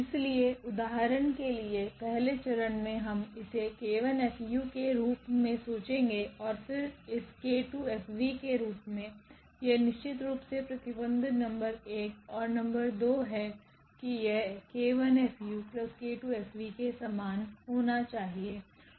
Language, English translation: Hindi, So, in the first step for example, we will think it as k 1 u and then plus this k 2 v, this is exactly the condition number 1 and the condition number 2 gives now that this should be equal to k 1 F u and plus this k 2 F v